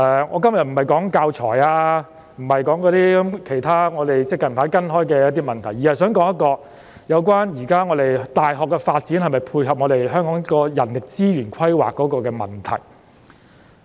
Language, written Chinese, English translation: Cantonese, 我今天不是討論教材或其他最近我們正跟進的問題，而是有關現時大學的發展能否配合香港人力資源規劃的問題。, Today instead of teaching materials or other latest issues that we are following up I will discuss the question of whether the present development of our universities can tie in with the human resources planning of Hong Kong